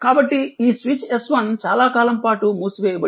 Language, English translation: Telugu, So, this is this switch S 1 was closed for long time